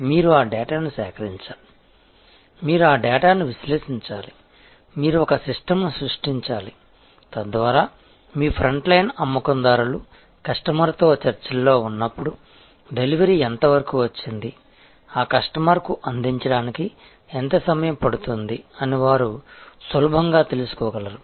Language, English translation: Telugu, You have to collect those data, you have to analyze that the data, you have to create a system, so that your front line sales people when they are in discussion with the customer, they should be easily able to see that, what is the delivery position, how long it will take to serve that customer